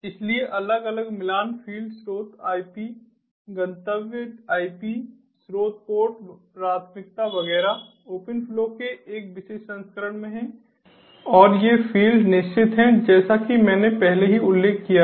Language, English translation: Hindi, so there are different matching fields source, ip, destination ip, source, port, priority, etcetera in a particular version of open flow, and that these fields are fixed, as i already mentioned